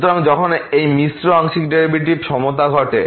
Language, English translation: Bengali, So, when the equality of this mixed partial derivatives happen